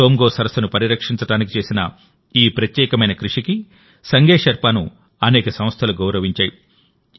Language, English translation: Telugu, Sange Sherpa has also been honored by many organizations for this unique effort to conserve Tsomgo Somgo lake